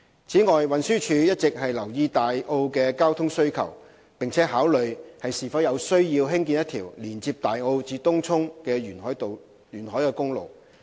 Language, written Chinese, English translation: Cantonese, 此外，運輸署一直留意大澳的交通需求，並考慮是否有需要興建一條連接大澳至東涌的沿海公路。, In addition TD has been monitoring the traffic demand in Tai O and considering whether there is a need to construct a coastal road linking Tai O to Tung Chung